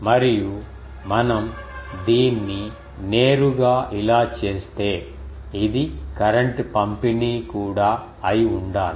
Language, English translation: Telugu, And, then if we just make it like this straight to then also this should be the current distribution